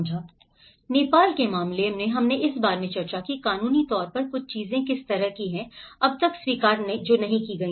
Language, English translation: Hindi, And in the case of Nepal, we also discussed about how legally that is certain things which have not been acknowledged so far